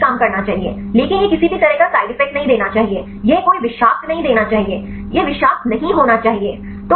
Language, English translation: Hindi, You should work right, but it should not give any side effects right it should not give any toxic it should not be toxic